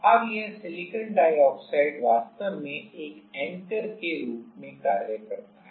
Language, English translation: Hindi, Now, this Silicon Dioxide actually act as anchor